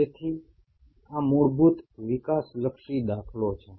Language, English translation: Gujarati, So this is the fundamental developmental paradigm